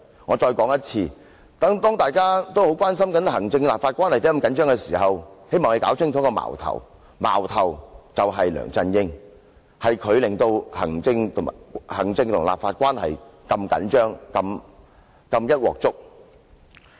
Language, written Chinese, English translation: Cantonese, 我再說一次，當大家都很關心行政立法關係為何如此緊張時，希望大家弄清楚，矛頭是梁振英，是他令行政立法關係變得緊張和"一鑊粥"。, Let me reiterate when we are all concerned about the tense executive - legislature relationship I hope you will see clearly that LEUNG Chun - ying is the culprit for causing the tense executive - legislature relationship and messing up everything